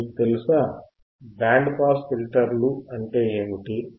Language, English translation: Telugu, Now you know, what areare band pass filters